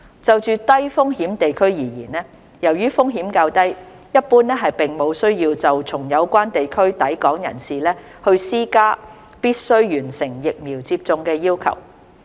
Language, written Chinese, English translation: Cantonese, 就低風險地區而言，由於風險較低，一般並無需要對從有關地區抵港人士施加必須完成疫苗接種的要求。, As far as low - risk places are concerned since the risks are relatively low generally there is no need to introduce vaccination as a requirement for people entering Hong Kong from these relevant places